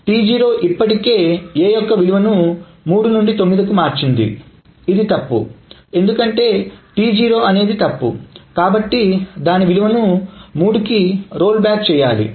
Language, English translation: Telugu, So T0 may have already written this value of A to 9 which is wrong because T0 is wrong so it should roll back the value to 3